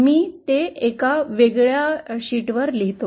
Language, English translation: Marathi, Let me write it on a different sheet